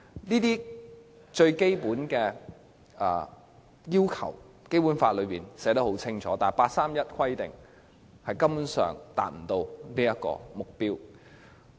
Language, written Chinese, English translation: Cantonese, 這些最基本的要求，《基本法》均已寫得很清楚，但八三一方案根本不能夠達到這目標。, This is the most basic requirement and has been clearly set out in the Basic Law but the 31 August package has failed to achieve this target